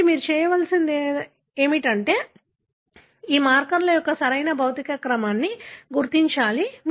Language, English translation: Telugu, 1: So, what you need to do is that you need to identify the correct physical order of these markers